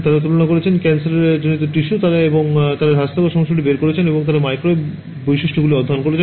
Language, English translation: Bengali, They have extracted cancerous tissue and they have extracted healthy issue and they have studied the microwave properties